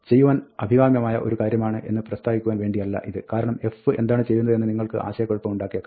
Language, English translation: Malayalam, Now, this is not to say that, this is a desirable thing to do, because you might be confused as to what f is doing